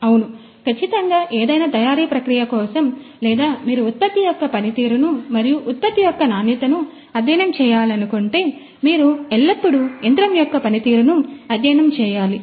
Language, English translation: Telugu, Yeah, exactly because you know for any manufacturing the process or any if you like to study the performance of the product and the quality of the product, you always need to study the performance of the machine ok